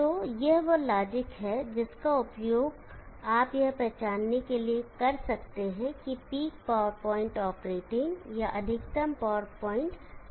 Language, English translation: Hindi, So this is the logic that you could use to identify where the peak power point or the maximum power point lies